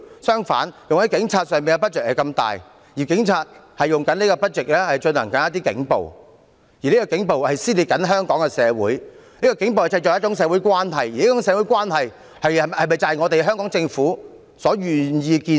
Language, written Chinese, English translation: Cantonese, 相反，用在警察上的撥款卻這麼大，而警察正利用這些撥款進行警暴，而這些警暴正撕裂香港社會，並製造一種社會關係，而這種社會關係是否就是香港政府願意看到？, On the contrary given the large amount of funding for the Police the Police are using the money to commit acts of brutality . Police brutality is tearing Hong Kong society apart and creating another kind of social relationship . Is the Hong Kong Government happy to see such kind of social relationship?